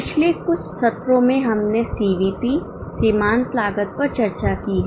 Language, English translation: Hindi, In last few sessions, we have discussed CVP marginal costing